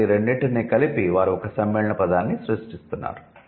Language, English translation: Telugu, So, together they are creating a compound word